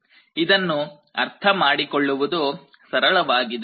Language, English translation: Kannada, This is actually quite simple to understand